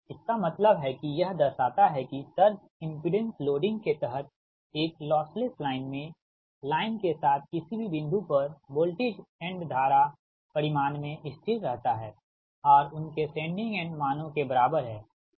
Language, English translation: Hindi, that means it shows that in a loss less line under surge impedance loading, the voltage end current at any point along the line, are constant in magnitude and are equal to their sending end values